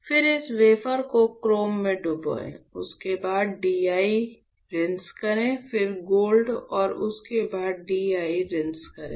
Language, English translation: Hindi, Then you dip this wafer in chrome etchant followed by DI rinse, then gold etchant followed by DI rinse right